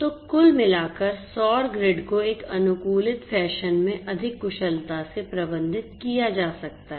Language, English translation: Hindi, So, overall the solar grids could be managed much more efficiently in an optimized fashion